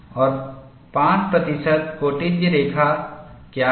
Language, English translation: Hindi, And what is the 5 percent secant line